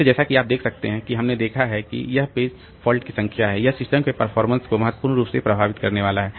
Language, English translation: Hindi, So as you can as we have seen that this number of page faults so it is going to affect the performance of the system significantly